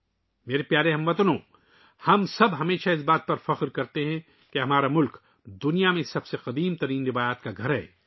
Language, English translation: Urdu, My dear countrymen, we all always take pride in the fact that our country is home to the oldest traditions in the world